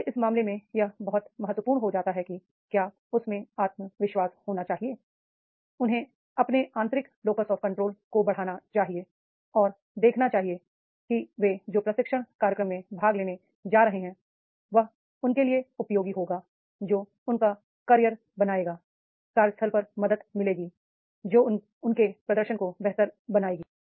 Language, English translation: Hindi, So, therefore in that case it becomes very important that is they should have the confidence, they should raise their internal locus of control and see that is whatever the training program they are going to attend that will be useful for them, that will make their career, that will help in the workplace, that will improve their performance